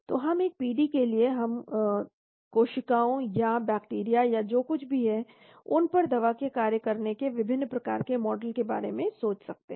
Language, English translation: Hindi, So we can for a PD we can think of different types of models of drug action on the cells or bacteria or whatever it is